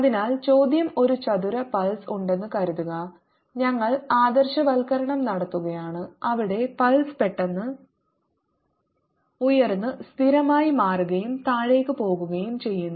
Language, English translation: Malayalam, so the question is: suppose there's a square pulse, we are taking idealization where the pulse suddenly rises, becomes a constant and goes down